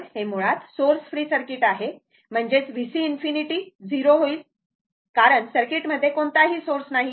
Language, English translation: Marathi, So, this is basically source free circuit; that means, V C infinity will be 0